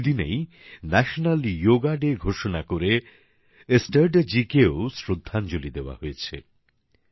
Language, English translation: Bengali, By proclaiming this day as National Yoga Day, a tribute has been paid to Estrada ji